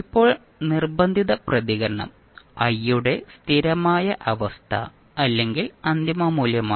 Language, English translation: Malayalam, Now forced response is the steady state or the final value of i